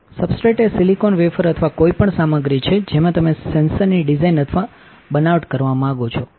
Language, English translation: Gujarati, Substrate is silicon wafer or any material in which you want to design or fabricate the sensor